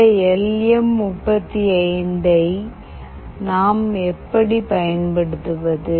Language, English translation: Tamil, How do we use this LM 35